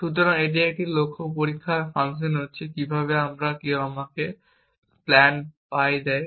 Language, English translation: Bengali, So, now having a goal test function how do I and somebody gives me a plan pie